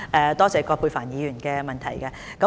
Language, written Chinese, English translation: Cantonese, 多謝葛珮帆議員的提問。, I thank Dr Elizabeth QUAT for her question